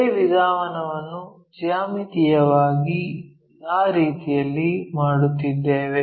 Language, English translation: Kannada, The same procedure geometrically here we are doing it in that way